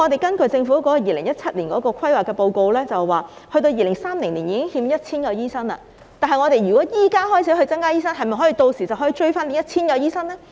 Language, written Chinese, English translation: Cantonese, 根據政府在2017年所做的規劃報告，到了2030年已欠 1,000 名醫生，即使現時開始增加培訓醫生，屆時是否可以追回 1,000 名醫生呢？, According to the planning report published by the Government in 2017 there will be a shortfall of 1 000 doctors by 2030 . Even if we start to train more doctors from now on will it be possible to replenish the shortfall of 1 000 doctors by then?